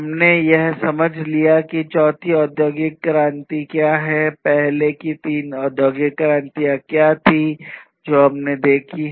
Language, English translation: Hindi, We have understood, what is this fourth industrial revolution, what were what were the previous three industrial revolutions that we have seen